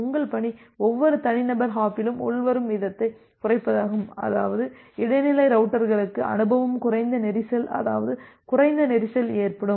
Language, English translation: Tamil, Your task would be to reduce the incoming rate at every individual hop such that intermediate routers is experience less congestion, less amount of congestion